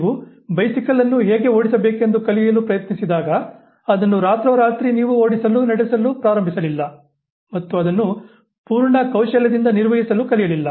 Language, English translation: Kannada, When you try to learn how to ride a bicycle, it was not that overnight you started now riding a bicycle and driving it, maneuvering it with full skill